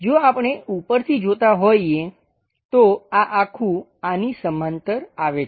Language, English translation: Gujarati, If we are looking from top view this entire thing goes parallel to this